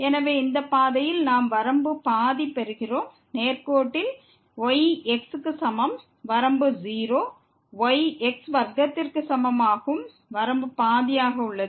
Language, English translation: Tamil, So, along this path we are getting the limit half; along the straight line, is equal to , the limit is 0; along is equal to square, the limit is half